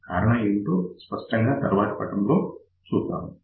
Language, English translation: Telugu, The reason will be obvious from the next slide